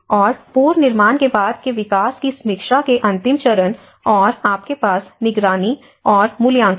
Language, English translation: Hindi, And the last phase of post reconstruction development review and you have the monitoring and evaluation